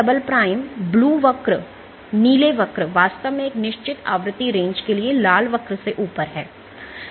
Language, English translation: Hindi, So, G double prime the blue curve is actually above the red curve for a certain frequency range